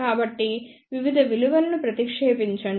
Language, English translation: Telugu, So, substitute the various values